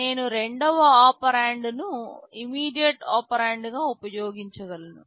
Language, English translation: Telugu, I can use the second operand as an immediate operand